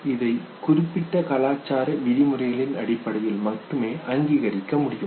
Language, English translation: Tamil, So consciously we acknowledge it only based on cultural specific norms